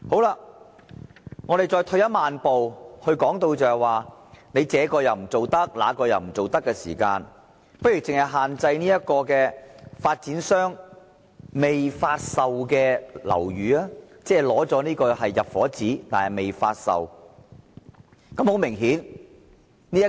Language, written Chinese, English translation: Cantonese, 讓我們再退一萬步，既然政府這不做，那又不做，不如僅對發展商未發售的樓宇施加限制，即那些只獲發出"入伙紙"但仍未發售的樓宇。, Let us move 10 000 steps back . Since the Government has refused to do this and that how about imposing restrictions on buildings that have not yet been offered for sale that is buildings that have been issued with occupation permits but yet to put up for sale